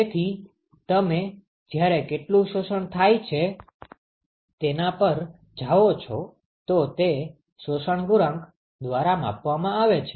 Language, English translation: Gujarati, So, as you go how much is absorbed, that is what is quantified by absorption coefficient ok